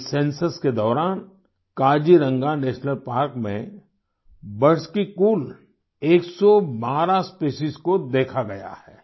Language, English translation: Hindi, A total of 112 Species of Birds have been sighted in Kaziranga National Park during this Census